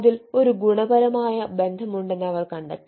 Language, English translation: Malayalam, so they found that there is a positive link